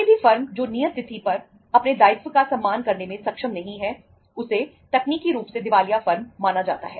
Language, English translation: Hindi, Any firm which is not able to honor its obligation on the due date is considered as technically insolvent firm